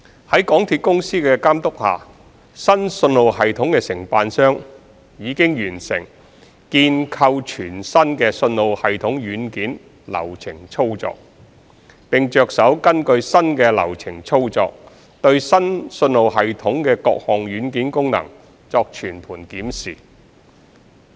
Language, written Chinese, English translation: Cantonese, 在港鐵公司的監督下，新信號系統的承辦商已完成建構全新的信號系統軟件流程操作，並着手根據新的流程操作，對新信號系統的各項軟件功能作全盤檢視。, Under the monitoring of MTRCL the contractor of the new signalling system has completed the new development process and work instructions for the software and proceeded to conduct a comprehensive inspection of the new signalling system software functions based on the new work instructions